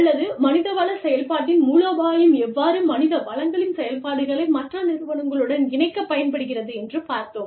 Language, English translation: Tamil, Or, how strategy in the human resources function, can be used to align, human resources functions, with the rest of the organization